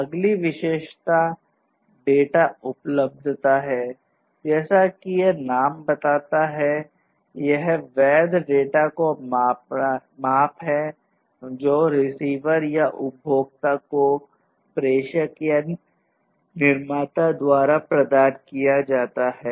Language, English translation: Hindi, The next attribute is the data availability and availability as this name suggests it is a measurement of the amount of valid data provided by the by the sender or the producer to the receiver or the consumer